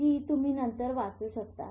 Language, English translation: Marathi, You can read it later